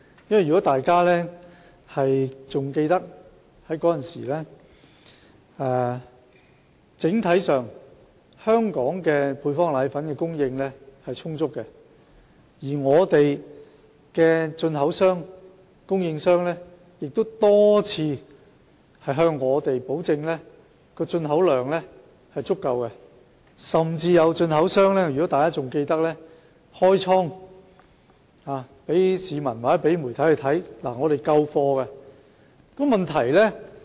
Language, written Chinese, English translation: Cantonese, 如果大家仍然記得，當時香港整體上配方粉的供應是充足的，本港的進口商、供應商亦多次向我們保證進口量足夠，甚至有進口商開倉讓媒體和市民參觀，以證明他們的存貨充足。, If Members still recall at that time the overall supply of powdered formula was sufficient and the importers and suppliers in Hong Kong had assured us time and again that the volume of import was sufficient . Some importers even opened their warehouse to show the media and the public that they had plenty of stock